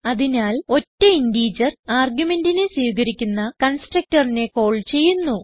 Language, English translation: Malayalam, Hence it calls the constructor that accepts single integer argument